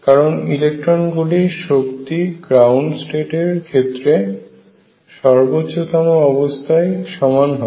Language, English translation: Bengali, Because the energy of all the electrons at the upper most level must be the same for the ground state